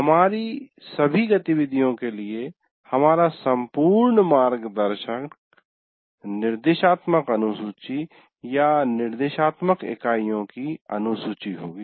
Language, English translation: Hindi, So our entire reference for all our activities will be the instruction schedule or the schedule of instructional units